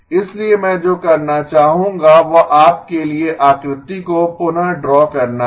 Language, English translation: Hindi, So what I would like to do is redraw the figure for you